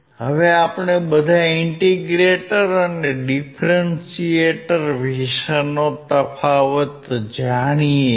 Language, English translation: Gujarati, Now we all know the difference in the integrator and differentiator